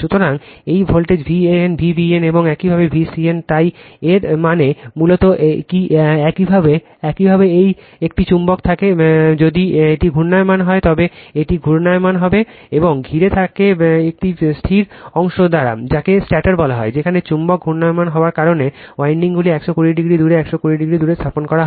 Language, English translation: Bengali, So, this is voltage V a n, this is V b n, and this is your V c n right so that means, basically what a your you have you have a magnet if it is rotating it is rotating, and is surrounded by a static part that is called stator, where windings are placed 120 degree apart right, 120 degree apart as the magnet is rotating right